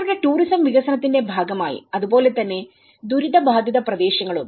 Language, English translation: Malayalam, As a part of their tourism development and as well as the affected areas